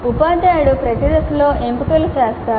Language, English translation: Telugu, So the teacher makes the choices at every stage